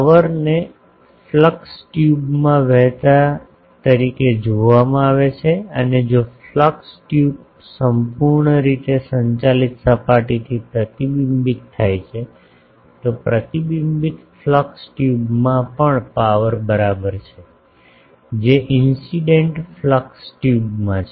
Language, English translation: Gujarati, The power is viewed as flowing in flux tube and if a flux tube is reflected from a perfectly conducting surface, the power in the reflected flux tube equals that in the incident flux tube